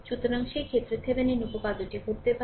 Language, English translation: Bengali, So, in the in that case, it may happen that Thevenin theorem